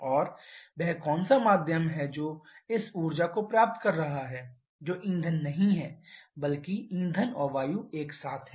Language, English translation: Hindi, And which is the medium that is receiving this energy that is not fuel rather that is fuel and air together